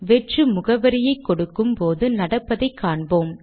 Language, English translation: Tamil, Let us see what happens when we give an empty address